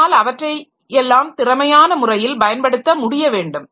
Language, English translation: Tamil, So, I should be able to use all of them in a way in an efficient manner